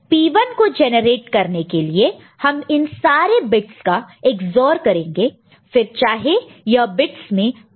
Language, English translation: Hindi, So, P 1 will be generated by Ex ORing these bits; whatever these bits whatever message you are having